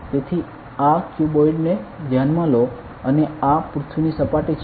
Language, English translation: Gujarati, So, consider this cuboid and this is the surface of the earth